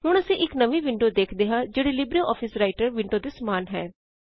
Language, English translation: Punjabi, We now see a new window which is similar to the LibreOffice Writer window